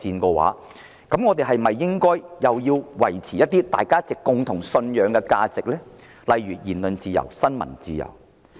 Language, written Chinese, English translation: Cantonese, 既然如此，我們是否應維護國際間共同信守的價值，例如言論自由和新聞自由？, That being the case should we uphold the shared values of the international community such as freedom of speech and freedom of the press?